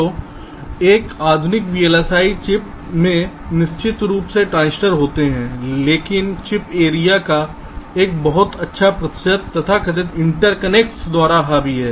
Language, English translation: Hindi, so in a modern () chip, of course there are transistors, but, ah, a very good percentage of the chip area is dominated by the so called interconnects